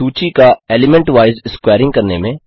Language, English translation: Hindi, perform element wise squaring of the list